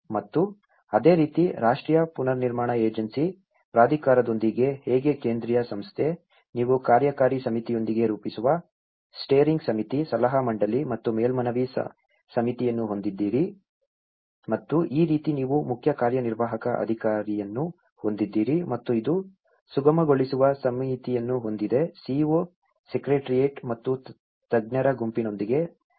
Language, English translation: Kannada, And similarly, with the National Reconstruction Agency Authority, how a central organization, you have the Steering Committee, the Advisory Council and the Appeal Committee that formulates with the Executive Committee and this is how you have the Chief Executing Officer and which have the Facilitation Committee with interaction with the CEO Secretariat and the experts group